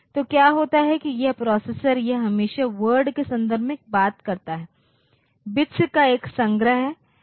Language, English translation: Hindi, So, what happens is that this processor it always talks in terms of words is a collection of bits